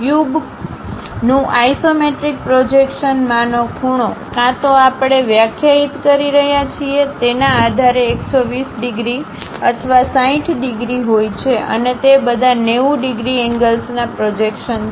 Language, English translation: Gujarati, The angles in the isometric projection of the cube are either 120 degrees or 60 degrees based on how we are defining and all are projections of 90 degrees angles